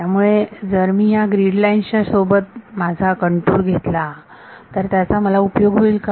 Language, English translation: Marathi, So, if I take my contour to be along the grid lines will it help me